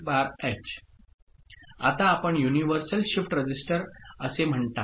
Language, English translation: Marathi, Now, we look at what is called universal shift register